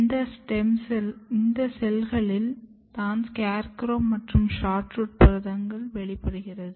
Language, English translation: Tamil, This is the cell where your SCARECROW and SHORTROOT proteins are expressed